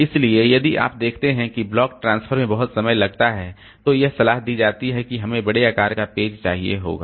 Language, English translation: Hindi, So, if you see that the block transfer takes a lot of time, then it is advisable that we have to do larger sized page so that we can transfer more amount of data in one one I